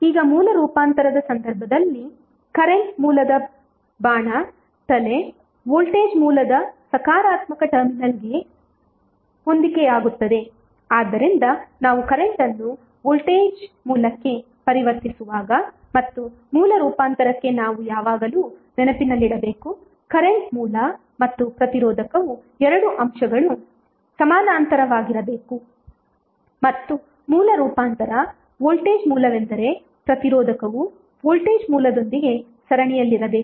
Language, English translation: Kannada, Now, in case of source transformation the head of the current source that is the arrow will correspond to the positive terminal of the voltage source, so this is what we have to always keep in mind while we transforming current to voltage source and source transformation of the current source and resistor requires that the two elements should be in parallel and source transformation voltage source is that resistor should be in series with the voltage source